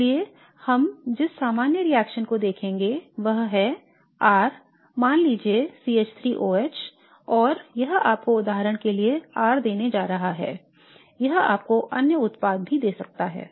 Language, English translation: Hindi, So the general reaction that we shall look at is R, let us say CH3 O H and this is going to give you R for example this